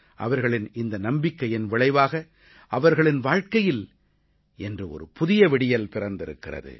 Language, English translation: Tamil, It's a result of that belief that their life is on the threshold of a new dawn today